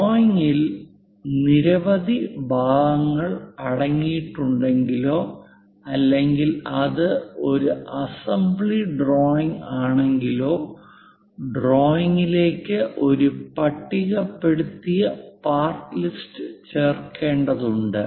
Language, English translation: Malayalam, If the drawing contains a number of parts or if it is an assembly drawing a tabulated part list is added to the drawing